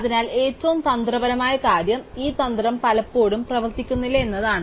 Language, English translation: Malayalam, So, the tricky thing is that, this strategy very often does not work